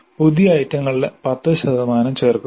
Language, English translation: Malayalam, Then 10% of new items are added